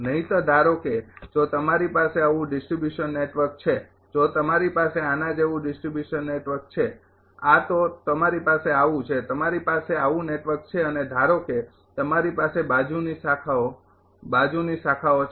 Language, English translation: Gujarati, Otherwise otherwise suppose if you have a distribution network like this , if you have a distribution network like this say this one you have right, you have a network like this and suppose you have a lateral branches, lateral branches right